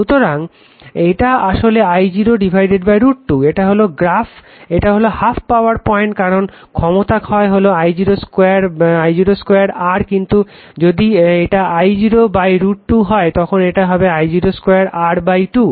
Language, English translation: Bengali, So, this is actually this 1 this 1 this is your I 0 by root 2 this is this is called half power point because I power loss is I 0 square R, but if it become I 0 by root 2 it will be I 0 square R by 2